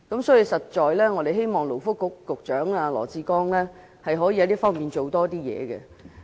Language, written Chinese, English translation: Cantonese, 所以，我們希望勞工及福利局局長羅致光可以在這方面多下點工夫。, Therefore we hope that the Secretary for Labour and Welfare Dr LAW Chi - kwong can make stronger efforts in this regard